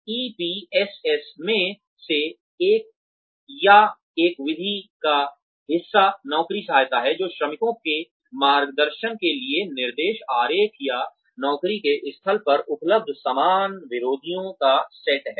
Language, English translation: Hindi, Part of or one method, of a the EPSS, is the job aid, which is set of instructions diagrams, or similar methods, available at the job site, to guide the workers